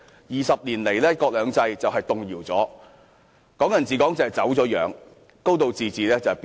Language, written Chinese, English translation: Cantonese, 二十年來，"一國兩制"已經動搖，"港人治港"已經走樣，"高度自治"已經變形。, Over the past 20 years one country two systems has been shaken Hong Kong people administering Hong Kong has been distorted and a high degree of autonomy has been deformed